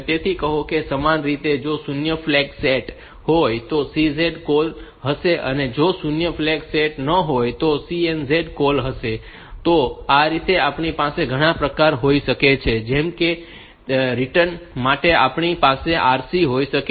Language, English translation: Gujarati, So, we have got similarly we can have say CZ, call if the zero flag is set CNZ call if the zero flag is not set, this way we can have many variants like then similarly for the return also we can have RC